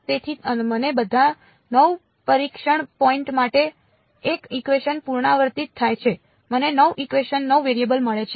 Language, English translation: Gujarati, So, I get 1 equation repeated for all 9 testing points I get 9 equations 9 variables ok